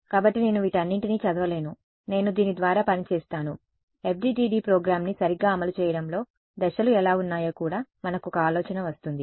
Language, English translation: Telugu, So, I would not read through all of this I will just working through this we will also get an idea of how to what are the steps in running an FDTD program ok